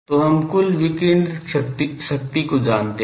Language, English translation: Hindi, So, total power radiated we know